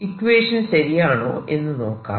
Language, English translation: Malayalam, let's check if this is correct